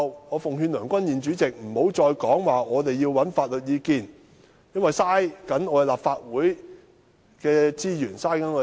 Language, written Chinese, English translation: Cantonese, 我奉勸梁君彥主席日後不要再提出要尋求法律意見，因為這樣做無疑浪費立法會的資源和金錢。, I advise the President to stop seeking legal advice in future as doing so will undoubtedly waste the resources and money of the Legislative Council